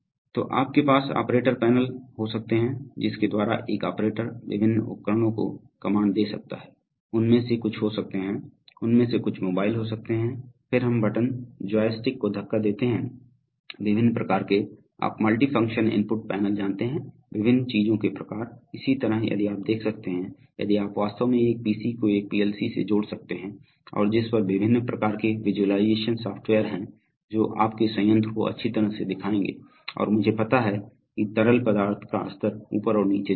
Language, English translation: Hindi, So you can have operator panels, by which an operator can give commands to a variety of devices, some of them may be, some of them may be mobile, then we push button joystick, various kinds of, you know multifunction input panels, various kinds of things, similarly if you can see, if you can actually connect a pc to a PLC and on which various kinds of visualization software which will nicely show your plant and i know as you know i mean levels of fluids will go up and down it will nice to show you on the screen, so such visualization software running on PCs can be used for man machine interfaces